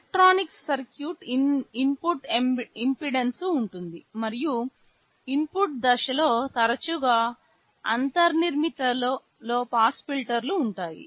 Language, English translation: Telugu, There will be some electronic circuit, there is input impedance and there is often a built in low pass filter in the input stage